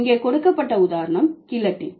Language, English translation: Tamil, The example given here is guillotine